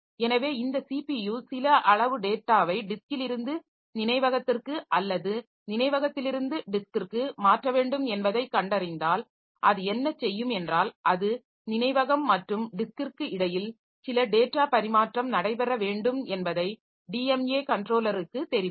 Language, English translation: Tamil, So, when this CPU finds that some amount of data has to be transferred from disk to memory or memory to disk, so what it will do, it will inform the DMA controller that some data transfer has to take place between memory and disk